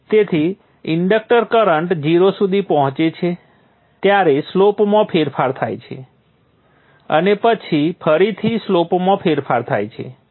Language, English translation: Gujarati, So the inductor current reaches zero, there is a change in the slope and then again change in the slope